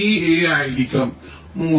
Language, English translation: Malayalam, this a will be three